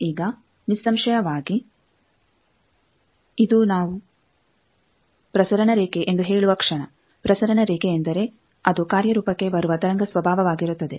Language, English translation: Kannada, Now, obviously this is the moment we say transmission line, transmission line means there it will be the wave nature that will come into play